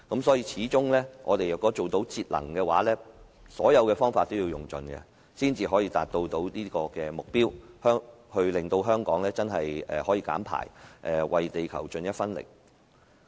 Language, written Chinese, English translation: Cantonese, 所以，歸根究底，我們若要節能，所有方法都要用盡，才可以達到這個目標，令香港可以減排，為地球出一分力。, Hence if we are to save energy we should exhaust all methods to achieve this target . We should try our best to reduce emissions in Hong Kong and do something for the Earth